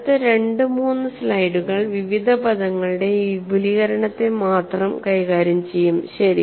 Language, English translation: Malayalam, The next two three slides we deal only with this expansion of various terms